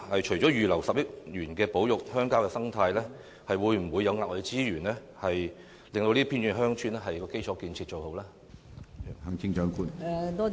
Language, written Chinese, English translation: Cantonese, 除了預留10億元保育鄉郊的生態外，會否額外撥出資源改善這些偏遠鄉村的基礎建設？, On top of earmarking 1 billion for conserving the rural ecology will it deploy any further resources to improve the infrastructure facilities of these remote villages?